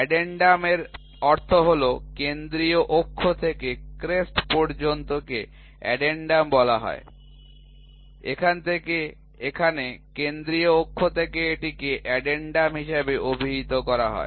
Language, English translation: Bengali, Addendum means from the central axis to the crest it is called as addendum, from here to here from the central axis to this is called as addendum